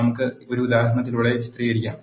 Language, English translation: Malayalam, Let us illustrate by an example